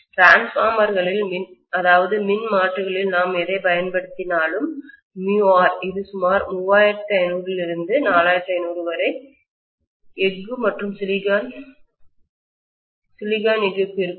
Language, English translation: Tamil, Whatever we use in the transformers many of them are going to have this mu R value to be almost 3500 to 4500 for steel and silicon steel